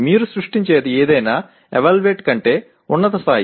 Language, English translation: Telugu, Anything that you Create is higher level than Evaluate